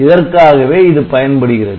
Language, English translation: Tamil, So, it can be used for that purpose